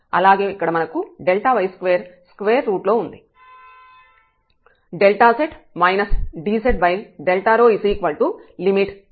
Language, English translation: Telugu, Here we have delta y square as well and then the square root